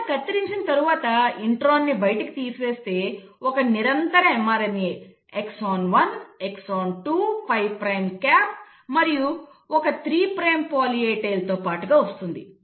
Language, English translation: Telugu, You cut it and you remove the intron out, and then you get a continuous mRNA, with exon 1, exon 2, 5 prime cap and a 3 prime poly A tail